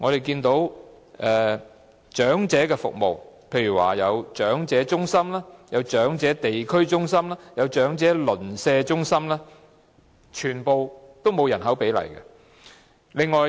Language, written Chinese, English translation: Cantonese, 至於長者服務方面，包括長者中心、長者地區中心、長者鄰舍中心等，全部都沒有訂下人口比例。, As far as services for the elderly are concerned such as elderly centres district elderly community centres and neighbourhood elderly centres no ratio has been set for their provision in relation to population size